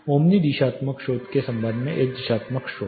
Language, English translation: Hindi, You know a directional source with respect to Omni directional source